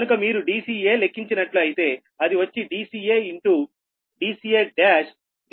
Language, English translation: Telugu, so if you calculate d c a, it will be d c a into d c a, dash d c dash a into d c, dash a